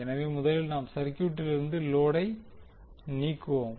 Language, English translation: Tamil, So, first we will remove the load from the circuit